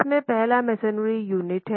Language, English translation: Hindi, First one is the masonry unit